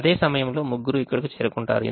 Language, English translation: Telugu, all three of them will reach